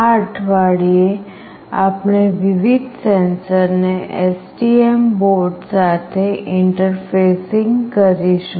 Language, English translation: Gujarati, In this week we will be interfacing various sensors with STM board